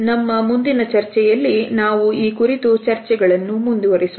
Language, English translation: Kannada, In our further discussions we would continue with these discussions